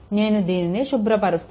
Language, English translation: Telugu, Now, I am clearing it right